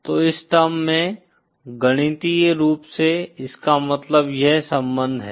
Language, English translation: Hindi, So in terms, mathematically what this means is this relation